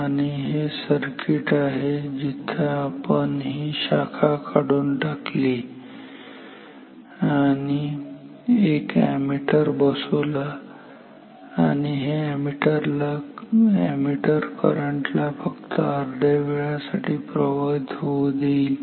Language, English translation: Marathi, This is the circuit where we have cut open this branch and inserted an ammeter and this ammeter is allowing the current to flow only for one half of the time